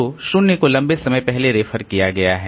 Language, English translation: Hindi, Now there is a reference to 0